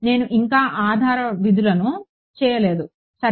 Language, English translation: Telugu, I am I have not yet substituted the basis functions ok